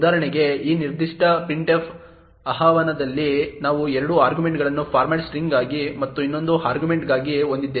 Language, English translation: Kannada, For example, in this particular printf invocation we have 2 arguments one for the format string and the other for the argument